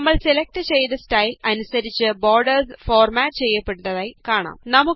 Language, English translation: Malayalam, We see that the borders get formatted according to our selected style